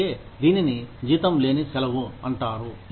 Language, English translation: Telugu, That is why, it would be called unpaid leave